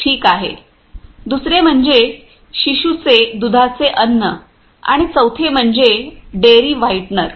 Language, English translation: Marathi, The another one is infant milk food and the fourth one is Dairy whitener